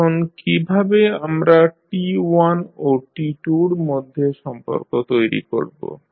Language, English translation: Bengali, Now, how we will create the relationship between T1 and T2